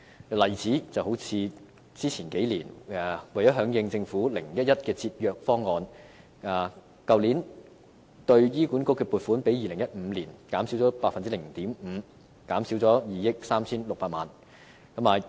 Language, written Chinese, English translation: Cantonese, 舉例說，為了響應政府 "0-1-1" 的節約方案，去年對香港醫院管理局的撥款比2015年減少 0.5%， 即減少2億 3,600 萬元。, For example in response to the 0 - 1 - 1 envelope savings programme the provisions for the Hong Kong Hospital Authority HA last year was 0.5 % less than 2015 representing a reduction of 236 million